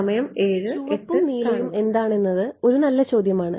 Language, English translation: Malayalam, A good question what is the red and blue